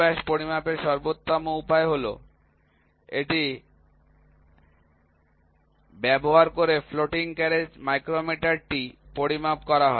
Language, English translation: Bengali, The best way to measure the minor diameter is to measure its using floating carriage micrometer